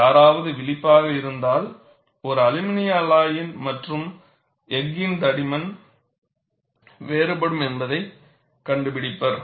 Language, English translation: Tamil, And if someone is alert, you would find, the thickness is different for an aluminum alloy and thickness is different for a steel data